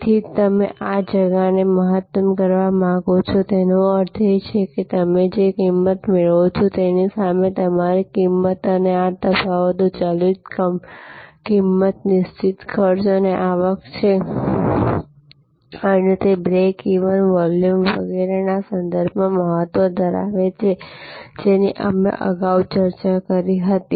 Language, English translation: Gujarati, So, you would like to maximize this gap; that means, the price that your getting versus your cost and these differences are variable cost, fixed cost and the revenue and it is importance with respect to the break even, volume, etc, we discussed earlier